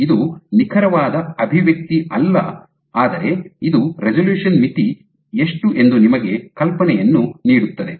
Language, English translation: Kannada, So, this is not the exact expression, but this is roughly gives you an idea of how much would be the resolution limit